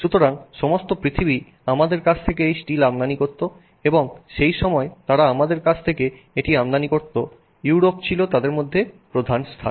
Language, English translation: Bengali, So, all over the world they used to import this steel from us and I mean Europe was the major place at that point in time